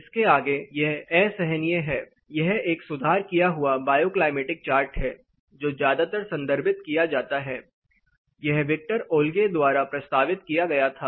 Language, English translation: Hindi, Beyond this it is unbearable this is a very commonly referred fine tuned bioclimatic chart you know this was proposed by Victor Olgyay